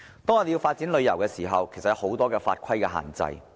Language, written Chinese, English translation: Cantonese, 我們發展旅遊業，其實受到很多法規的限制。, Our development of the tourism industry is actually subject to many laws and regulations